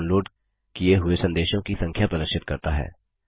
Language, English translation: Hindi, It displays the number of messages that are being downloaded